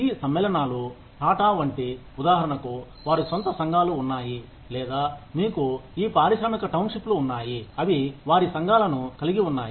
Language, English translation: Telugu, These conglomerates like Tatas, for example they have their communities, or, you have these industrial townships, that have their communities in different places